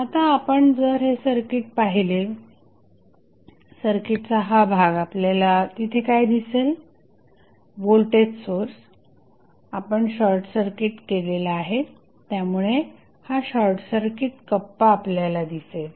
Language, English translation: Marathi, Now, if you see this circuit, this segment of the circuit what, what is there you will see this is the short circuit compartment because of the voltage source we short circuited